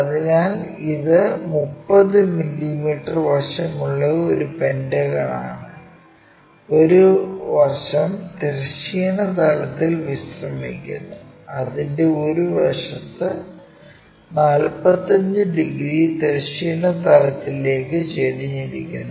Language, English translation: Malayalam, So, it is a pentagon of 30 mm side and one of the side is resting on horizontal plane, on one of its sides with its surfaces 45 degrees inclined to horizontal plane